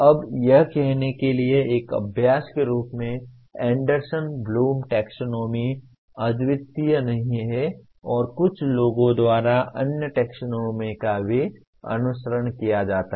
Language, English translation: Hindi, Now as an exercise to say that Anderson Bloom Taxonomy is not unique and other taxonomies are also followed by some people